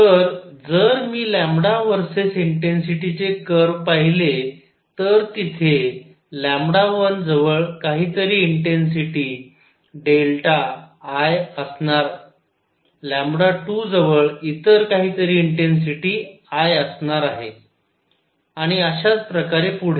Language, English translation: Marathi, So, if I look at lambda verses intensity curve, there would be some intensity delta I near say lambda 1; some other intensity I near lambda 2 and so on